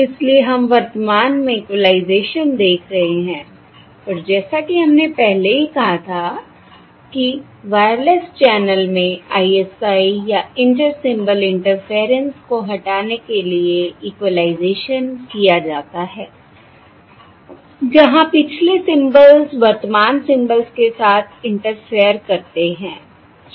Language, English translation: Hindi, So weíre currently looking at equalization and, as we already said, equalization is done to remove the ISI or Inter Symbol Interference in a wireless channel where the previous symbols interfere with the current symbols